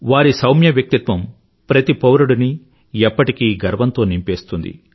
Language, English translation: Telugu, His mild persona always fills every Indian with a sense of pride